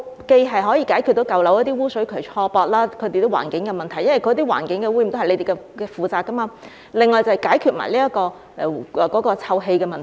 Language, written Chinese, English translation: Cantonese, 這樣既可解決舊樓污水渠錯駁和環境問題，因為環境污染也是由局方負責的，另外亦可一併解決臭氣的問題。, In this way the misconnection of sewers in old buildings and environmental problems can be solved since the Bureau is also responsible for environmental pollution while the odour problem can also be settled at the same time